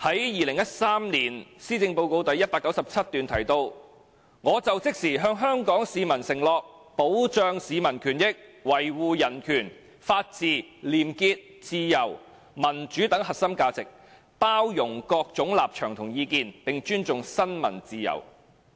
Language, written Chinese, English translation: Cantonese, 2013年施政報告的第197段提到，"我就職時向香港市民承諾，保障市民權益，維護人權、法治、廉潔、自由、民主等核心價值，包容各種立場和意見，並尊重新聞自由。, Paragraph 197 of the 2013 Policy Address reads In my inaugural speech I pledged to the Hong Kong people that I will safeguard the interests of the people and uphold the core values of Hong Kong including human rights rule of law clean government freedom and democracy tolerance of different stances and views and respect for press freedom